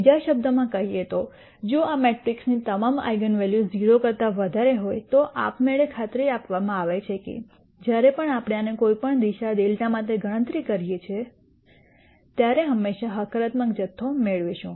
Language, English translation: Gujarati, In other words if all the eigenvalues of this matrix are greater than 0, it is automatically guaranteed that whenever we compute this for any delta direction we will always get a positive quantity